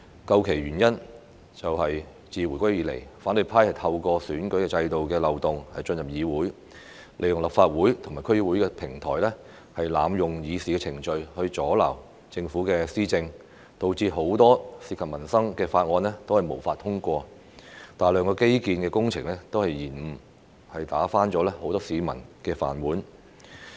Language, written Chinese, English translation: Cantonese, 究其原因，就是自回歸以來，反對派透過選舉制度的漏洞進入議會，利用立法會和區議會的平台，濫用議事程序阻撓政府施政，導致很多涉及民生的法案均無法通過，大量基建工程被延誤，打翻了很多市民的飯碗。, The reason is that since the handover of sovereignty the opposition camp entered the Legislative Council and District Councils through loopholes in the electoral system . Abusing the procedures on the platforms of the Legislative Council and District Councils they obstructed the Governments administration . As a result many bills related to peoples livelihood could not be passed and a large number of infrastructural projects were delayed thus breaking the rice bowls of many people